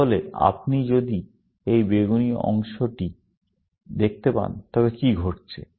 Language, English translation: Bengali, So, what is happening in, if you can see this purple part